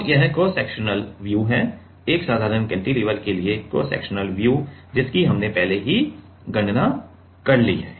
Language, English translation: Hindi, So, this is the cross sectional view; the cross sectional view for a simple cantilever we have already calculated